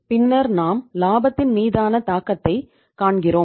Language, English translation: Tamil, Then we see the impact on the profitability